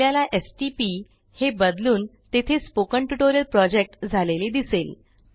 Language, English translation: Marathi, You will notice that the stp abbreviation gets converted to Spoken Tutorial Project